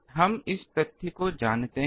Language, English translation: Hindi, We know this fact